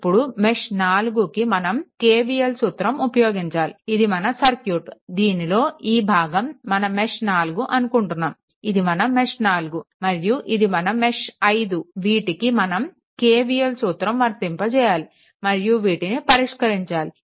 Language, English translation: Telugu, So, here also for mesh 4 you apply KVL, here where I am taking this circuit this is you are calling mesh 4 right, this is your mesh 4, this is mesh 4 and this is mesh 5 you apply KVL here right both the cases and just solve it